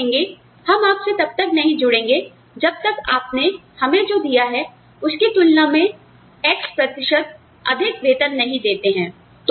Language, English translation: Hindi, And, they will say, we will not join you, till all of us get a salary, that is x percent higher than, what you have offered us